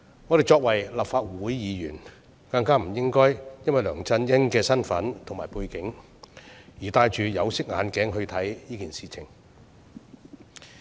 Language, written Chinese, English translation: Cantonese, 我們身為立法會議員，更不應該因為梁振英的身份和背景，而戴着有色眼鏡來看這件事。, It is even more improper for us as Legislative Council Members to view this matter through black - tinted glasses on the basis of Mr LEUNG Chun - yings status and background